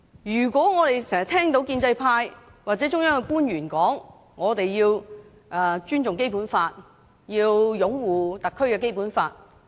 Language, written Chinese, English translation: Cantonese, 我們經常聽到建制派或中央的官員說，我們要尊重《基本法》、擁護特區的《基本法》。, We often hear the pro - establishment camp or officials of the Central Authorities say that we have to respect the Basic Law or uphold the Basic Law of the SAR